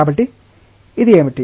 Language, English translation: Telugu, So, what will be this